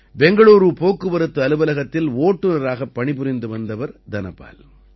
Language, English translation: Tamil, Dhanapal ji used to work as a driver in the Transport Office of Bangalore